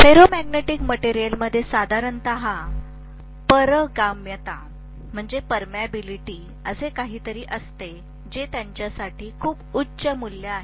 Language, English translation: Marathi, The ferromagnetic material generally have something called permeability which is a very very high value for them